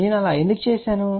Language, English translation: Telugu, Why I have done that